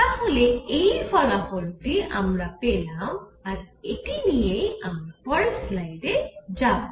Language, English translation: Bengali, So, this is a result which we have got which I will through take to the next slide